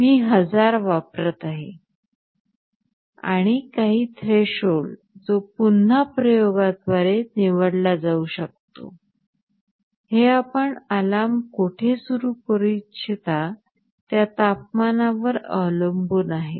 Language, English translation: Marathi, I am using 1000, and some threshold that again can be chosen through experimentation; depends on the temperature where you want to start the alarm